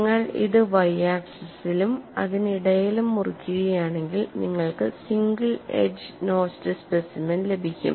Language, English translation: Malayalam, If you cut it along the y axis and in between this, you will be able to get a single edge notched specimen